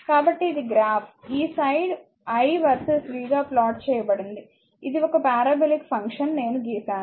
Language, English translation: Telugu, So, it is graph will be either this side you plot i or v, this is power it is a parabolic function just I have drawn right